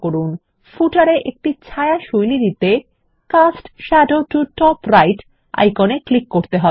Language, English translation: Bengali, For example , to put a shadow style to the footer, we click on the Cast Shadow to Top Right icon